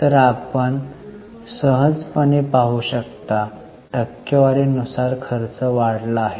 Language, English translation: Marathi, So, you can easily see that operating expenses as a percentage have gone up